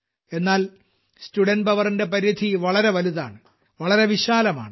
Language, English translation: Malayalam, But the scope of student power is very big, very vast